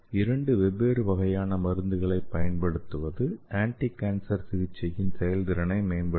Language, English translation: Tamil, So using this two different kind of drugs it will enhance the anticancer therapy